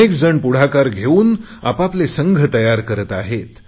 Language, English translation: Marathi, Many people are taking an initiative to form their own teams